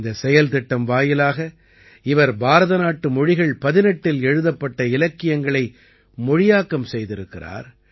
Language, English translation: Tamil, Through this project she has translated literature written in 18 Indian languages